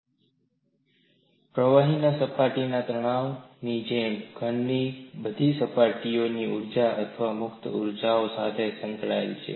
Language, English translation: Gujarati, Similar to surface tension of a liquid, all surfaces of solids are associated with surface energies or free energies